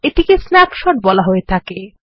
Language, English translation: Bengali, This is also known as a snapshot